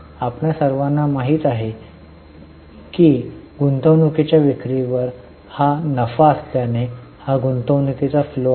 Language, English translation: Marathi, You all know that since this is a profit on sale of investment it is a investing flow